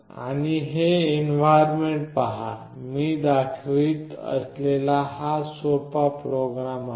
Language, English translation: Marathi, You see this is the environment; this is the simple program that I am showing